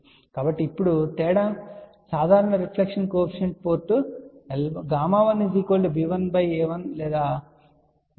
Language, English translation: Telugu, So, now, the difference is simple reflection coefficient let say port 1 will be gamma 1 which will be b 1 by a 1 or gamma 2